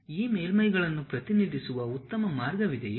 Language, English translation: Kannada, Are there any better way of representing this surfaces